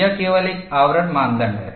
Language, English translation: Hindi, This is only a screening criteria